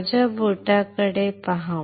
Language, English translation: Marathi, Look at my finger